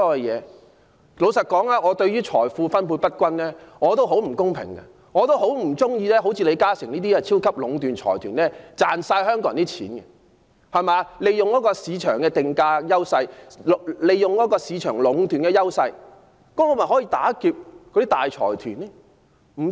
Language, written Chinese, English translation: Cantonese, 坦白說，我對於財富分配不均也深痛惡絕，也不喜歡李嘉誠家族這類超級財團的壟斷，賺盡香港人的錢，利用市場定價的優勢作出壟斷，但我是否可因此打劫大財團呢？, Frankly speaking I also feel deeply resentful about the uneven distribution of wealth and disapprove of the monopolization by such giant consortia as the LI Ka - shing family which have squeezed every penny out of peoples pocket and monopolized the market with its advantages in market pricing but can I use these as the excuse for robbing big consortia?